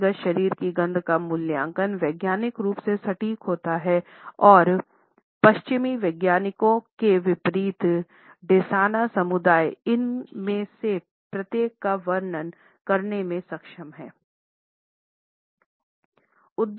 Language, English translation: Hindi, The assessment of the components of personal body odor is scientifically accurate and unlike western scientists, the Desana are also able to describe each of these smells which are involved in this process in minute and vivid detail